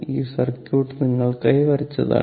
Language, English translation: Malayalam, So, this circuit is drawn for you